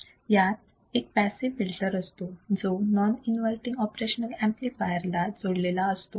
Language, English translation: Marathi, This is the passive filter and this is our non inverting op amp